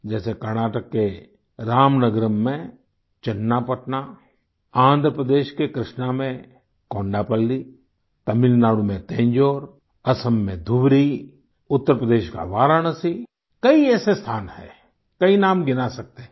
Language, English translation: Hindi, Like, Channapatna in Ramnagaram in Karnataka, Kondaplli in Krishna in Andhra Pradesh, Thanjavur in Tamilnadu, Dhubari in Assam, Varanasi in Uttar Pradesh there are many such places, we can count many names